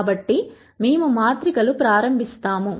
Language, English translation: Telugu, So, we will start with matrices